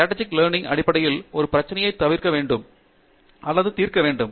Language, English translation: Tamil, And then, Strategic learning you need to basically solve a problem